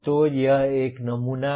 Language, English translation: Hindi, So this is one sample